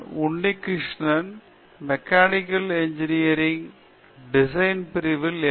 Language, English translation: Tamil, Unnikrishanan: I am Unnikrishanan, I am doing my MS in Machine Design Section, Mechanical Engineering